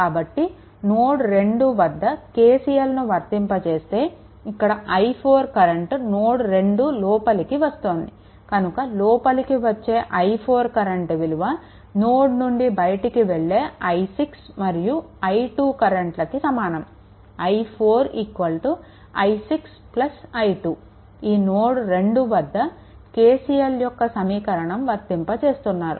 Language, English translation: Telugu, So, if you apply your KCL at node 2, then this i 4 is incoming so, this current is incoming that is i 4 right, but other current that i 6 and i 2 it is living the terminal is equal to your i 6 plus i 2 right